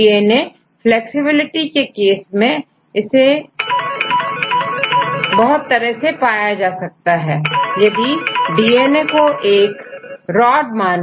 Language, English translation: Hindi, For the case of DNA flexibility there are various ways to get the flexibility, you can consider the DNA as a rod right